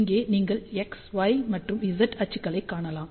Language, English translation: Tamil, So, here you can see axis x, y and z